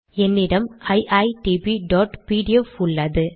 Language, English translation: Tamil, I have a file called iitb.pdf